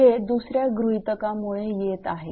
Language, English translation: Marathi, This is because of the second assumption